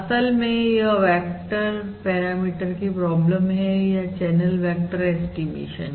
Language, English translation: Hindi, In fact, that is the problem of vector parameter or vector or a channel vector estimation